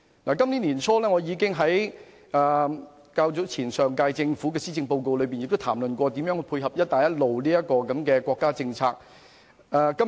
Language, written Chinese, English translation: Cantonese, 在今年年初討論上屆政府的施政報告時，我已就如何配合"一帶一路"的國家政策發言。, During the debate on the Policy Address of the last - term Government early this year I talked about ways to complement the national Belt and Road Initiative